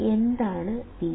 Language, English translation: Malayalam, What is Vc